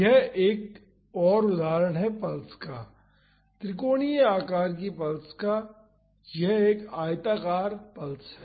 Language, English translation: Hindi, This is another example of a pulse a triangular shape pulse, this is a rectangular pulse